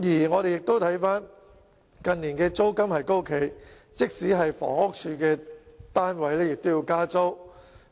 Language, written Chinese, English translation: Cantonese, 我們亦看到近年租金高企，即使是房屋署的單位也要加租。, We have also seen that rent has been on the high side in recent years and rent has increased even for flats of the Housing Department